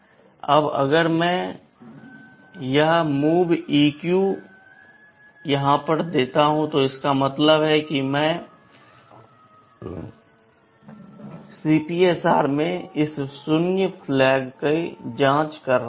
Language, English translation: Hindi, Now if I give this MOVEQ, this means I am checking this zero flag in the CPSR